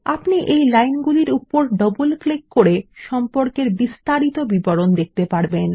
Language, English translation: Bengali, We can double click on the lines to see the relationship details